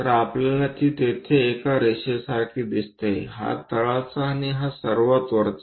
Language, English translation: Marathi, So, we see it like one single line there; this bottom one, this one and this top one